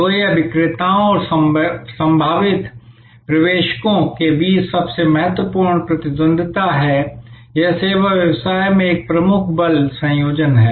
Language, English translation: Hindi, So, this is the most important rivalry among sellers and potential entrants, this is a key force combination in service business